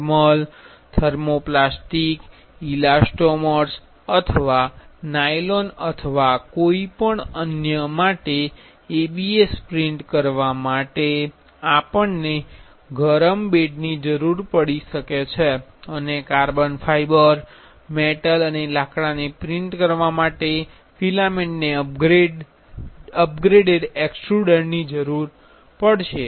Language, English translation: Gujarati, For printing ABS for thermal thermoplastic elastomers or nylon or any other, we may require a heated bed and for printing carbon fiber metal and wood filament will require upgraded extruder